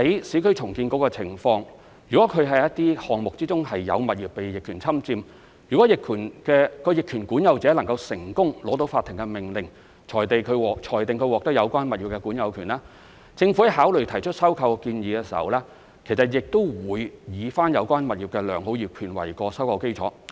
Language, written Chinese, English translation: Cantonese, 如果市建局的項目之中有物業被逆權侵佔，而有關的逆權管有人成功取得法庭的命令，裁定他獲得有關物業的管有權，政府考慮提出收購建議時，亦會以有關物業的良好業權為收購基礎。, If a person has adversely possessed a property in a URA project and that this adverse possessor has successfully applied for a court order declaring that he or she has acquired the possessory title of the property in question the Government will in making the acquisition proposal consider whether the property has a good title as the basis of its acquisition